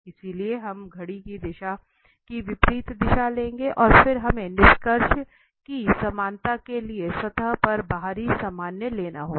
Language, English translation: Hindi, So, we will take anti clockwise direction and then we have to take the outer normal on the surface to have that equality of the conclusion